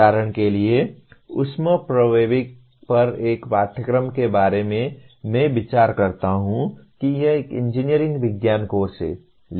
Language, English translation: Hindi, Like for example a course on thermodynamics I would consider it constitutes a engineering science course